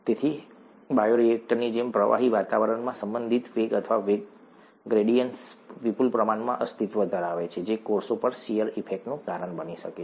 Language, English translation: Gujarati, So, in a fluid environment as in a bioreactor relative velocities, or velocity gradients exist in abundance, which can cause, which can cause shear effects on cells